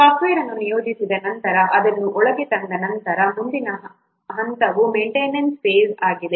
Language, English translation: Kannada, After the software is put into use, after it is deployed, so next phase is maintenance phase